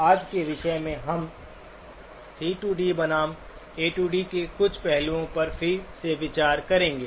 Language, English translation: Hindi, Today's topics are, we will revisit a few aspects of the C to D versus A to D